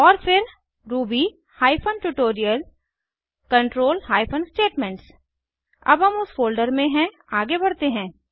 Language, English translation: Hindi, Then to ruby hyphen tutorial control hyphen statements Now that we are in that folder, lets move ahead